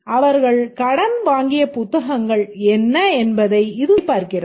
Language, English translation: Tamil, It checks what are the books they have been borrowed